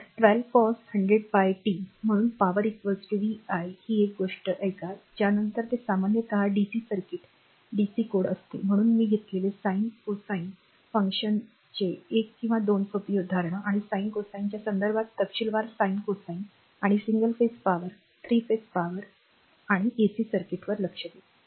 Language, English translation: Marathi, So, 12 cos 100 pi t; hence the power is p is equal to v i listen one thing this is we are covering then general it is a DC dc circuit DC codes, but one or two simple example of your sine cosine function I am taken and detail sine cosine detailed your in terms of sine cosine and single phase power or 3 phase power that will come when the AC circuit